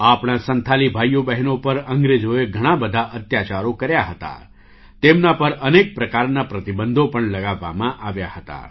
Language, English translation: Gujarati, The British had committed many atrocities on our Santhal brothers and sisters, and had also imposed many types of restrictions on them